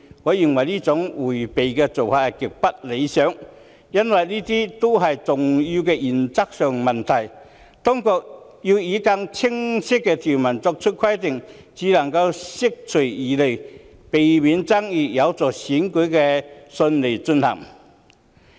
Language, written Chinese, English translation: Cantonese, 我認為這種迴避態度極不理想，因為這些都是重要的原則性問題，當局應以更清晰的條文作出規定，才能釋除疑慮，避免爭議，有助選舉順利進行。, I consider such an evasive attitude extremely unsatisfactory since all of them are important issues of principle . The authorities should prescribe requirements with more lucid provisions so as to dispel doubts and pre - empt disputes which is conducive to the smooth conduct of elections